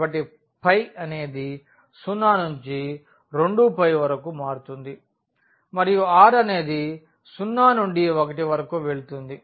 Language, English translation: Telugu, So, phi varies from 0 to 2 pi and r goes from 0 to 1